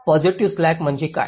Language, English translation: Marathi, what does a positive slack mean